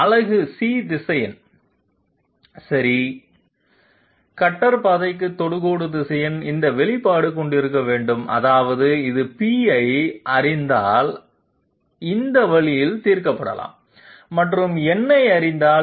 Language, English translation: Tamil, Unit C vector okay tangent vector to the cutter path must be having this expression that means it can be solved this way if we know p and if we know n